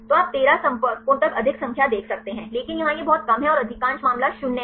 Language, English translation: Hindi, So, you can see the more number there up to 13 contacts, but here it is very less and most of the case it is 0